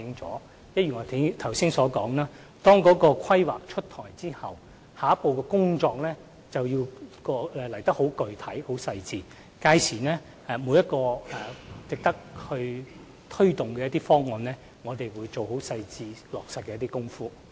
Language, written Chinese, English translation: Cantonese, 正如我剛才所說，當《規劃》出台後，下一步的工作便會更具體和精細，屆時每一項值得推動的方案，我們都會仔細落實。, As I said just now after the launch of the Development Plan the work in the next step will be more specific and precise . We will then carefully implement each proposal which is worth taking forward